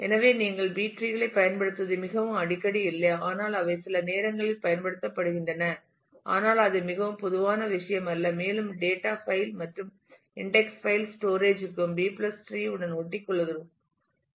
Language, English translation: Tamil, So, it is not very frequent that you will use B trees, but they are use at times, but that is not a very common thing and we stick to B + tree for both of the data file as well as index file storage